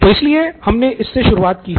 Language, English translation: Hindi, So, that is why we have done it prior to this